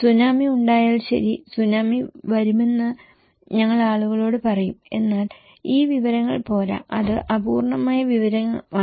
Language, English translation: Malayalam, Like if there is a Tsunami, we tell people that okay, Tsunami is coming but if this information is not enough, it is incomplete information